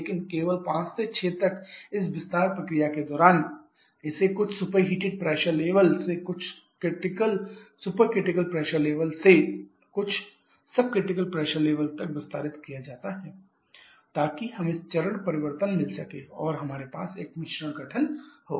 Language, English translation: Hindi, But only during this expansion process from this 5 to 6 it is expanded from some superheated pressure level to some supercritical pressure level to some sub critical pressure level so that we can have this phase change and we have a mixture formation